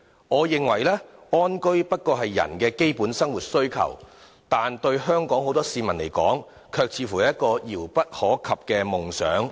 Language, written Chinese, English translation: Cantonese, 我認為，安居不過是人的基本生活需求，但對很多香港市民而言，卻似乎是一個遙不可及的夢想。, In my view having a decent home is merely a basic need in life yet for many people in Hong Kong it seems to be a distant and unreachable dream